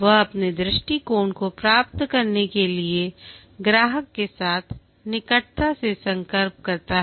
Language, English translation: Hindi, He liaises closely with the customer to get their perspective